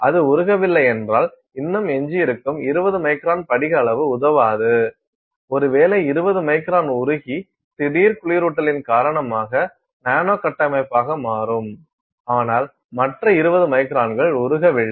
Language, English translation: Tamil, If it does not melt then you will still have a residual say 20 micron crystal size which does not help us, maybe 20 microns melts 20 micron and becomes nanostructure because of the sudden cooling, but the other 20 microns has not melted